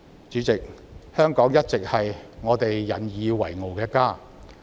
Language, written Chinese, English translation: Cantonese, 主席，香港一直是我們引以為傲的家。, President Hong Kong has always been the home that we take pride in